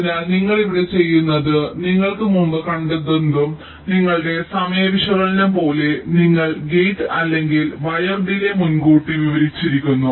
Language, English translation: Malayalam, so what you do here is that, just like your timing analysis, whatever you had seen earlier, your gate or wide delays are pre characterized